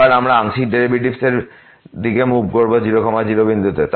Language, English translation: Bengali, Now, the partial derivative with respect to